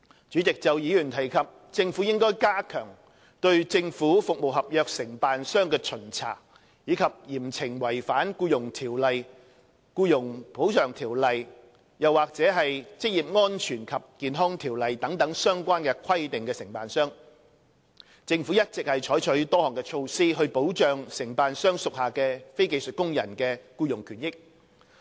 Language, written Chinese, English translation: Cantonese, 主席，就議員提及政府應加強對政府服務合約承辦商的巡查，以及嚴懲違反《僱傭條例》、《僱員補償條例》或《職業安全及健康條例》等相關規定的承辦商，政府一直採取多項措施，以保障承辦商屬下非技術工人的僱傭權益。, President with regard to Members suggestions that the Government should step up inspection of contractors of government service contracts and impose severe punishments on contractors in breach of the relevant provisions under the Employment Ordinance the Employees Compensation Ordinance or the Occupational Safety and Health Ordinance the Government has all along implemented various measures to protect the employment rights and benefits of non - skilled workers employed by contractors